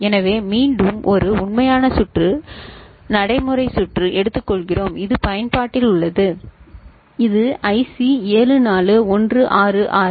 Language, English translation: Tamil, So, again we take up an actual circuit practical circuit which is in use which is IC 74166 ok